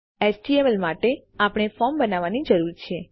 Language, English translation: Gujarati, For the html we need to create a form